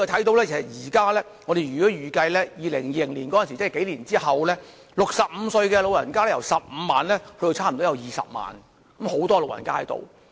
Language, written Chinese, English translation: Cantonese, 我們預計在數年後，即2020年，該區65歲長者人口將由15萬增加至大約20萬，是一個很大的數字。, We project that a few years later that is 2020 the population aged 65 or above in the district will have increased from 150 000 to around 200 000 which is a significant number